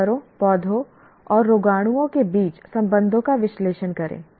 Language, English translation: Hindi, Analyze the relationships among animals, plants and microbes